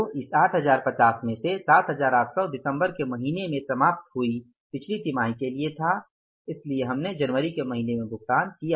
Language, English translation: Hindi, So, in this 8050, 7,800 was for the previous quarter ended in the month of December